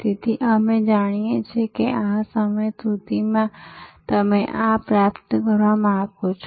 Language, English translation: Gujarati, So, that we know that by this time you want to achieve this, this, this